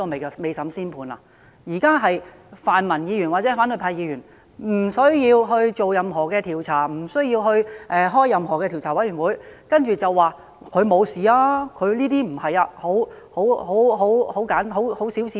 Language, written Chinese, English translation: Cantonese, 現在是泛民或反對派議員說不需要進行任何調查，不需要成立任何調查委員會，便說他沒有犯事，他沒有行為不檢，而只是很小事。, At present it is the Members from the pan - democratic camp or the opposition camp who say that it is unnecessary to conduct any investigation or to set up any investigation committee . They simply say that he has not violated the law and has not misbehaved and that it was only a very minor case